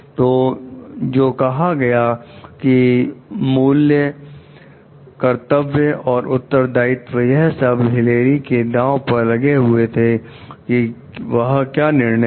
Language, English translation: Hindi, So, what stay values, obligations and responsibilities are at stake in Hilary s deliberation about what to do